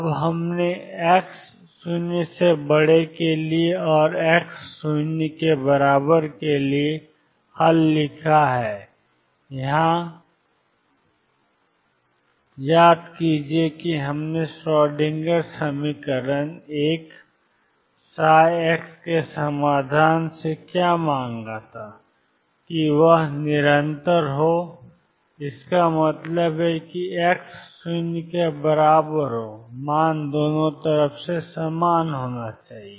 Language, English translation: Hindi, Now, we have written the solution for x greater than 0 and x equal 0 what about at x equal to 0 is the equation, recall what we asked what we demanded from the solution of the Schrodinger equation 1 psi x be continuous and this means at x equals 0, the value should be the same from both sides